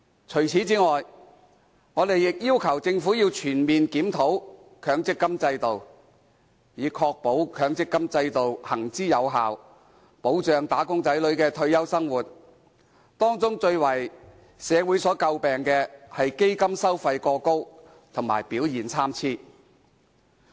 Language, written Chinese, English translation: Cantonese, 除此之外，我們亦要求政府要全面檢討強積金制度，以確保其行之有效，保障"打工仔女"的退休生活，而當中最為社會所詬病的是基金收費過高及表現參差。, Furthermore we also request the Government to conduct a comprehensive review of the MPF scheme to ensure that it can effectively provide retirement protection for wage earners . The high level of fees and varied performance of the MPF scheme have attracted much criticism by society